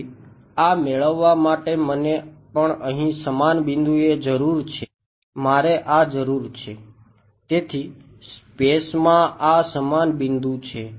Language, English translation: Gujarati, So, in order to get this I also need at the same point over here I need this right